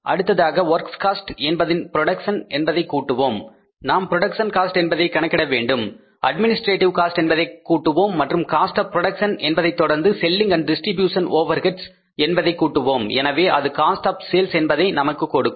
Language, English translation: Tamil, Then in the works cost we will add up the production, we will have to calculate the production cost so we will add up the administrative overheads and after the cost of production we will add up the selling and distribution overheads so it will give us the cost of sales